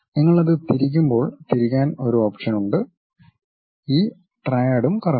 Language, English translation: Malayalam, There is an option to rotate when you rotate it this triad also rotates